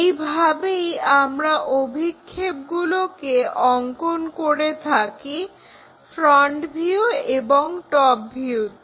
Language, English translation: Bengali, So, when we have this projection, the front view is here